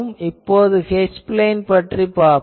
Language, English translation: Tamil, Now, let us see the H plane